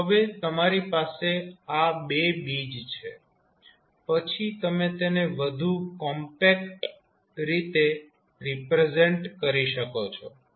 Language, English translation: Gujarati, So, now you have these 2 roots in your hand then you can represent it in a more compact manner